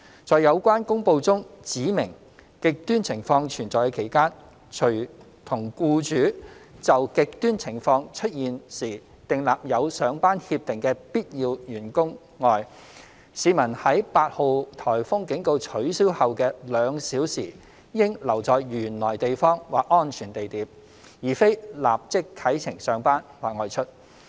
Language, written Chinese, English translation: Cantonese, 在有關公布中指明"極端情況"存在的期間，除與僱主就"極端情況"出現時訂立有上班協定的必要人員外，市民在8號颱風警告取消後的兩小時應留在原來地方或安全地點，而非立即啟程上班或外出。, During the period within which extreme conditions exist as specified in the announcement the public apart from the essential staff who have an agreement with their employers to be on duty when the extreme conditions exist are advised to stay in the places they are currently in or safe places for two hours after cancellation of T8 instead of immediately heading for work or going out